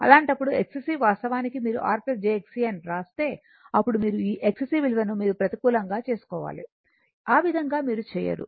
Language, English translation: Telugu, In that case your X c actually your what you call if you write R plus j X c, then in that what will happen that you this X c value you have to take negative, that way you do not do